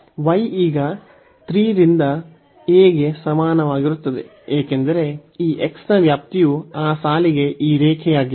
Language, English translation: Kannada, So, y is equal to a to 3 a now for the range of this x is this line to that line